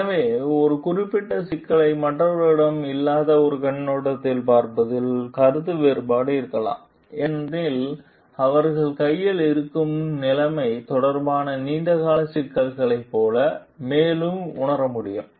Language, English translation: Tamil, So, there may have a difference of opinion of looking at a particular problem from a perspective which others may not have because they can then sense further like long term issues related to the maybe the situation at hand